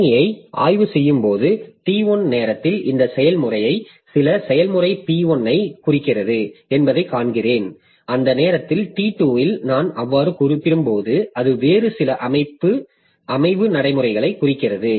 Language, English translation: Tamil, So, maybe at time T1 when I probe the system, I find that the process is referring to some procedure P1 at time T2 when I refer to so it is referring to some other set of procedures